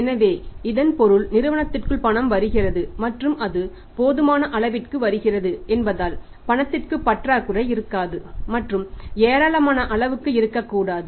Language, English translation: Tamil, So, it means cash must be following on within the firm and sufficiently it must be flowing there should not be any shortage of the cash and there should not be any abundance of the cash